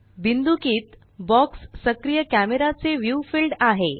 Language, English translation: Marathi, The dotted box is the field of view of the active camera